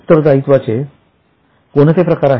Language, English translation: Marathi, It will be what type of liability